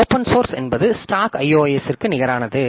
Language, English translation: Tamil, So, open source, similar to similar stack to iOS